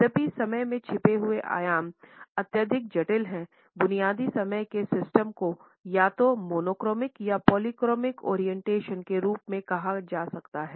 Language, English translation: Hindi, Though the hidden dimensions of time remain to be exceedingly complex, basic time systems can be termed as possessing either monochronic or polychronic orientations